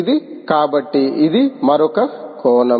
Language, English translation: Telugu, so this is another aspect